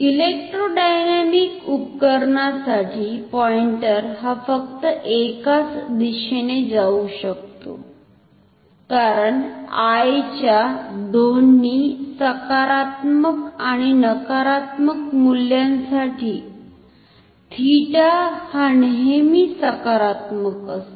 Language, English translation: Marathi, For electrodynamic instrument the pointer can move only in one direction, because for both positive and negative value of I, theta is always positive